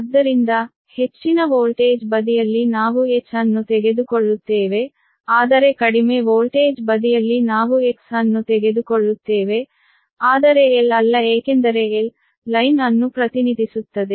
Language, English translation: Kannada, so star, high voltage side, we will take h, but low voltage side, we will take x, but not l, because l will stand for line right